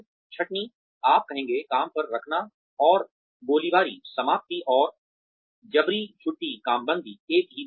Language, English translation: Hindi, Layoffs, you will say, hiring and firing, termination and layoff, is the same thing